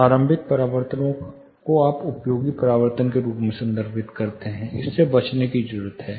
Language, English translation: Hindi, This is you refer, initial reflection you refer as useful reflections, this need to be avoided